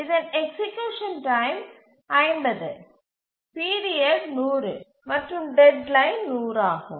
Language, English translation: Tamil, So, execution time is 50, period is 100 and deadline is 100